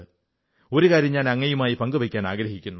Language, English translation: Malayalam, I would like to share something with you